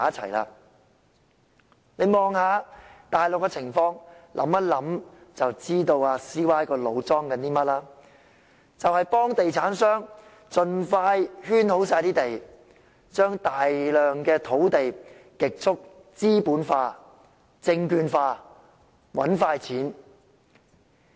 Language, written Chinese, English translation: Cantonese, 大家看看大陸的情況後想一想，便知道 CY 的腦袋想些甚麼，便是盡快替地產商圈劃全部土地，把大量土地極速資本化、證券化來"搵快錢"。, We just need to look at what is happening on the Mainland to find out what CY has in mind that is to enclose all the land as soon as possible for real estate developers with a view to rapidly capitalizing and securitizing a large amount of land for quick cash